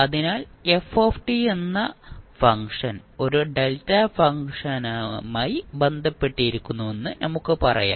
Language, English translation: Malayalam, So, let us say that 1 function ft we have and we are associating 1 direct delta function with it